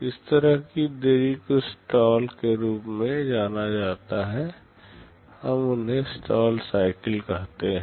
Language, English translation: Hindi, Such delays are referred to as stalls; we call them stall cycles